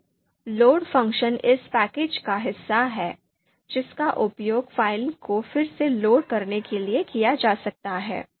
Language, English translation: Hindi, Now, load function is part of this package which can be used to again load the file